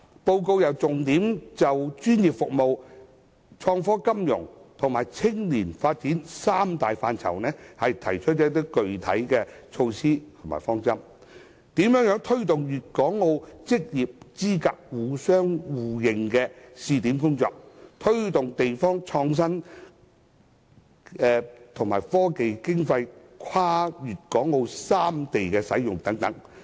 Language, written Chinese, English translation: Cantonese, 報告更重點就專業服務、創科金融及青年發展三大範疇，提出具體措施和方針，例如推動粵港澳職業資格互認試點的工作、推動地方創新及科技經費跨粵港澳三地使用等。, It also draws up specific measures and guidelines focusing on three major areas namely professional services ITfinance and youth development . Some of these measures are a pilot project on promoting mutual recognition of occupational qualifications among Guangdong Hong Kong and Macao; the promotion of innovation in the region; the use of scientific research funding across Guangdong Hong Kong and Macao etc